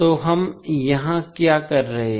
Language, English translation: Hindi, So, what we are doing here